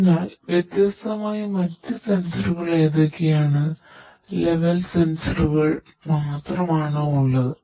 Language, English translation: Malayalam, So, how what are different other sensors that are there only level sensors